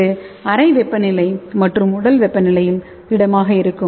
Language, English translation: Tamil, And it will be remain solid at room temperature and body temperature